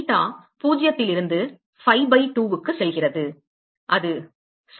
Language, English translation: Tamil, Theta goes from 0 to phi by 2, that is right